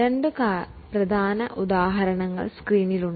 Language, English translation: Malayalam, Two important examples are there on the screen